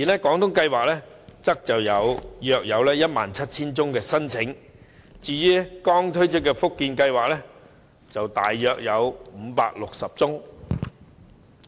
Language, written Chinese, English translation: Cantonese, 廣東計劃錄得約 17,000 宗申請，而至於剛推出的福建計劃則約有560宗。, Seventeen thousand applications were recorded under the Guangdong Scheme and the figure for the Fujian Scheme which was just rolled out was around 560